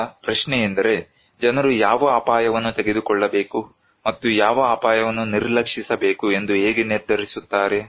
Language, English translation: Kannada, Now, the question is, how then do people decide which risk to take and which risk to ignore